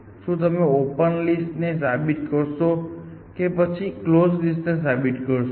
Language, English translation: Gujarati, Would you rather proven the open list or would you rather proven the close list